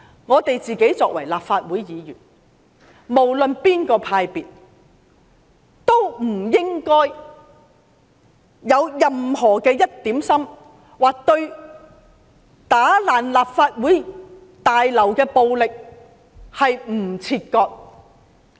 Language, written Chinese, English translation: Cantonese, 我們作為立法會議員，無論屬於哪個派別，內心也不應該有一刻不想與破壞立法會大樓的暴力行徑切割。, No matter which camp we belong to not for a single moment in our hearts should we as Legislative Council Members not want to sever ties with the acts of violence that devastated the Legislative Council Complex